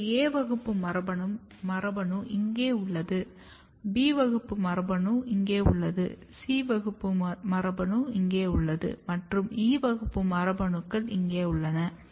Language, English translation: Tamil, So, A class gene is here B class gene is here C class genes are here E class genes are here